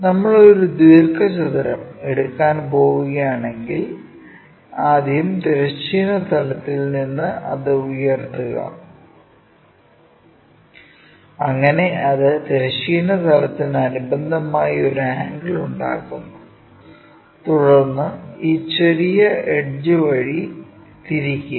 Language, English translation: Malayalam, So, let us ask a question, systematically, if we are going to take a rectangle first lift it up from the horizontal plane, so that it makes an angle with the horizontal plane, then rotate around this small edge